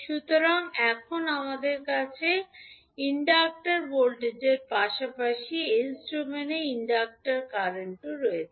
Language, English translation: Bengali, So, now we have the inductor voltage as well as inductor current in s domain